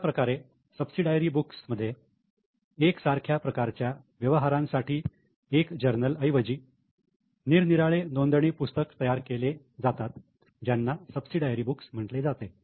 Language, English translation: Marathi, So, in subsidiary books, instead of having one journal for a similar type of transaction, number of books are prepared which are called as subsidiary books